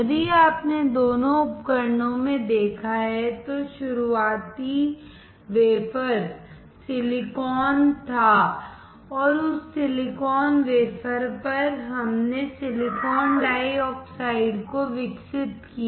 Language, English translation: Hindi, If you have noticed in both the devices, the starting wafer was silicon and on that silicon wafer, we grew silicon dioxide